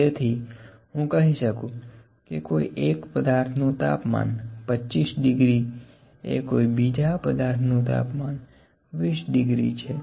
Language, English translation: Gujarati, So, can I say that if the temperature is 25 degrees for one body and 20 degrees for another body